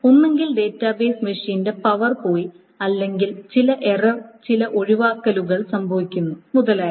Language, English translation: Malayalam, So either the power of that database machine has gone or there is some error, some exception happened,, etc